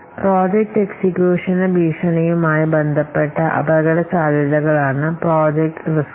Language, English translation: Malayalam, Project risks are the risks which are related to threads to successful project execution